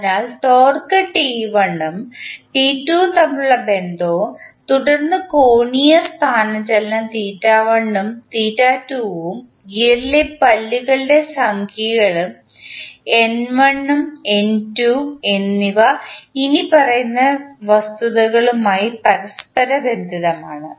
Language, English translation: Malayalam, So, the relationship between torque T1 and T2 and then angular displacement theta 1 and theta 2 and the teeth numbers in the gear that is N1 and N2 can be correlated with the following facts